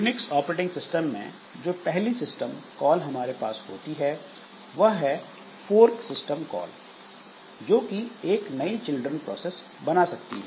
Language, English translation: Hindi, So first system call that we have in Un unique operating system is the fork system call that can create new children processes